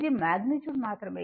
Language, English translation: Telugu, This is magnitude only